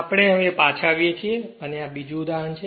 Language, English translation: Gujarati, So, we are back again so, this is another example right